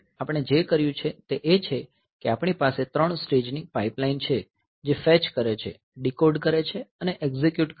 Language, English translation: Gujarati, So, what we have done is we had 3 stage pipeline this fetch, decode and execute